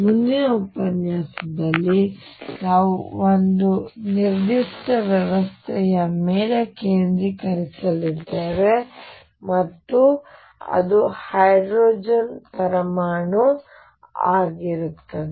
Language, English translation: Kannada, In the next lecture we are going to focus on a particular system and that will be the hydrogen atom